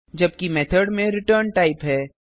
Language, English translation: Hindi, Whereas Method has a return type